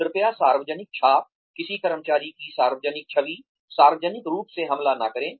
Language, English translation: Hindi, Please, do not attack the public impression, the public image of an employee, in public